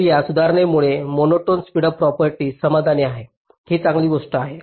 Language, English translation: Marathi, so with this modification the monotone speedup property is satisfied